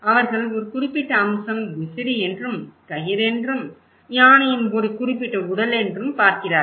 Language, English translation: Tamil, They are looking one particular aspect is a fan, someone is looking it is a rope, a particular body of the elephant